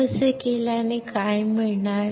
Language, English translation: Marathi, So, by doing this what we will get